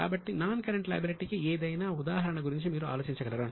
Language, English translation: Telugu, So, can you think of any examples of non current liability